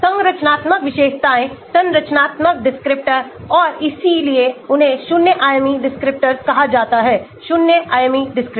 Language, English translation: Hindi, structural features, structural descriptor and so they are called zero dimensional descriptors ; zero dimensional descriptors